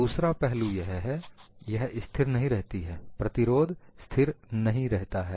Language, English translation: Hindi, Another aspect is, it does not remain constant; the resistance does not remain constant